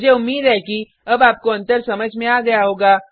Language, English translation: Hindi, I hope the difference is clear to you now